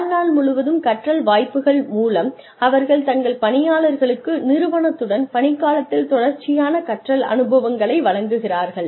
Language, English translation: Tamil, Through lifelong learning opportunities, they provide their employees, with continued learning experiences, over the tenure, with the firm